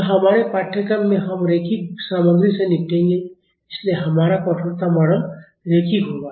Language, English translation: Hindi, So, in our course we will be dealing with linear's material so, our stiffness model will be linear